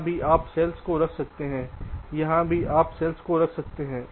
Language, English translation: Hindi, here also you are placing this cells